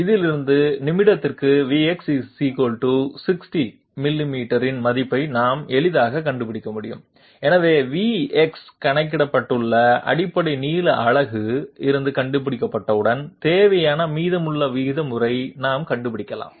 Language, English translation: Tamil, From this, we can easily find out the value of V x = 60 millimeters per minute, so once V x has been found out we can find out that sorry when V x has been found out from the basic length unit which has been calculated, we can find out the rest of the terms required